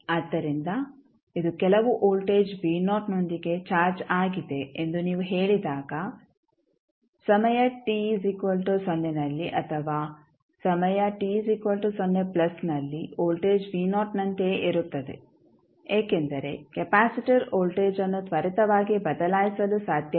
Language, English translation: Kannada, So, when you will say that it is charged with some voltage v naught we can say that at time t 0 minus or at time t 0 plus voltage will remain same as v naught because capacitor cannot change the voltage instantaneously